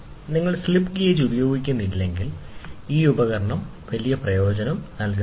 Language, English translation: Malayalam, If you do not use the slip gauge, this instrument is of not of big use